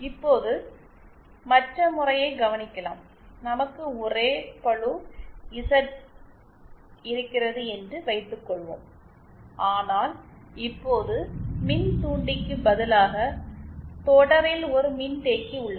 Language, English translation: Tamil, Now see now consider the other case, suppose we have the same load Z but now instead of the inductor, we have a capacitance in series